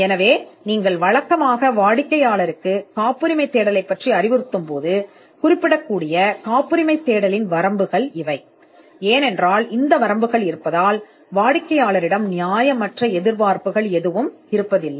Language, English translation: Tamil, So, these are the limitations of a patentability search, you would normally advise the client about the patentability search, because of these limitations so that there are no unreasonable expectations from the client